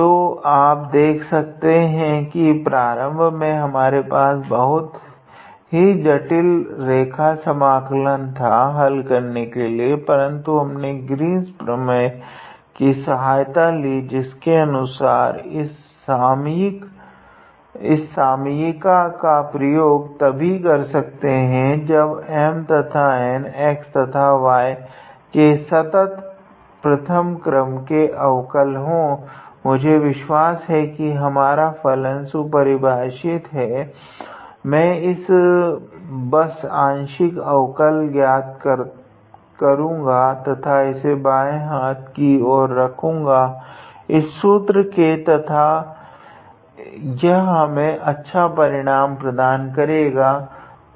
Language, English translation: Hindi, So, you see initially we had a very complicated line integral to evaluate, but we just took help of Green’s theorem which says that you can be able to use this identity only when M and N have continuous first order partial derivatives with respect to y and x, I believe and since our functions are behaving nicely I just calculated the partial derivatives and put it on the left hand side of this formula and that gave us this nice result, alright